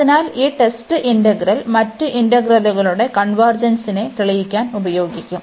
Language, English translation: Malayalam, So, this integral which is the test integral, and today we will use this integral to prove the convergence of other integrals